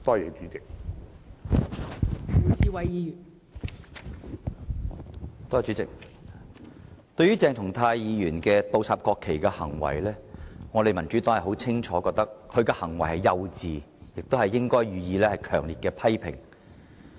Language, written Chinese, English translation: Cantonese, 代理主席，對於鄭松泰議員倒插國旗的行為，我們民主黨清楚認為他的行為幼稚，亦應予以強烈批評。, Deputy President regarding Dr CHENG Chung - tais act of inverting the national flag we in the Democratic Party have stated very clearly that his conduct was childish and should be harshly criticized